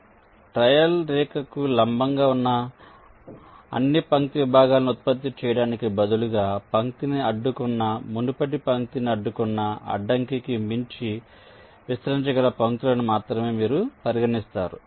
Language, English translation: Telugu, so, instead of generating all line segments that have perpendicular to a trail line, you consider only those lines that can be extended beyond the obstacle which has blocked the line, blocked the preceding line